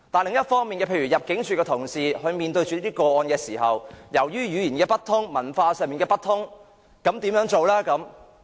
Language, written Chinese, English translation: Cantonese, 另一方面，入境事務處同事在面對這些個案時，由於語言不通、文化不通，他們又該怎辦呢？, On the other hand what can staff members of the Immigration Department ImmD do with such cases when they do not speak the same language and share the same culture as the claimants?